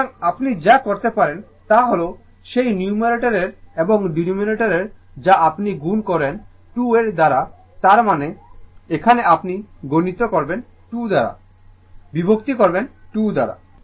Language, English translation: Bengali, So, what you can do is that numerator and denominator you multiply by 2 that means, here you multiplied by 2 right, divided by 2